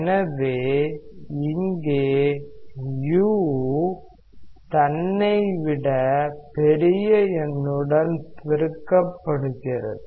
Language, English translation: Tamil, So, here u is multiplied with a number which is greater than u itself